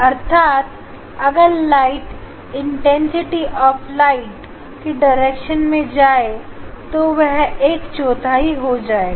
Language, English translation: Hindi, That means, light going in this direction the intensity of that light will be just one fourth